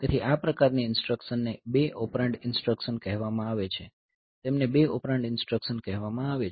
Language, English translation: Gujarati, So, these type of instructions they are called 2 operand instruction they are called 2 operand instruction